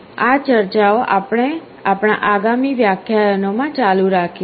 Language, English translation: Gujarati, These discussions we shall be continuing in our next lectures